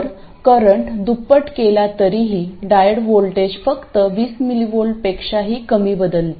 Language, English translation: Marathi, So, even doubling the current changes the diode voltage only by something less than 20molts